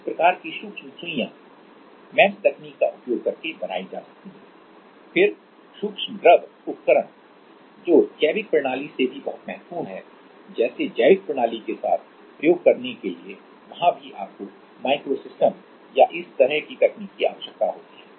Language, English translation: Hindi, This kind of micro needles can be made using MEMS technology, then micro fluidic devices which are also very much important in biological system like for experimenting with biological system there also you need micro system or this kind technology